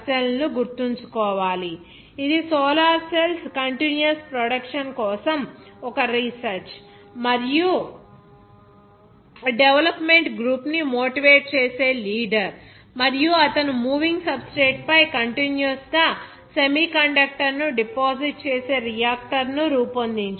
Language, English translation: Telugu, W Fraser Russell, which is a leader to motivate a research and development team for the continuous production of solar cells and also he designed a reactor that deposits a semiconductor continuously on a moving substrate